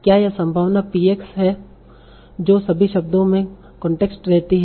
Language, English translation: Hindi, You see the probability PX remains the constant across all the words